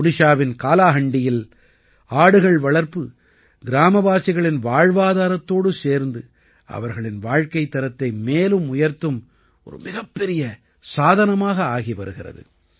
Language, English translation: Tamil, In Kalahandi, Odisha, goat rearing is becoming a major means of improving the livelihood of the village people as well as their standard of living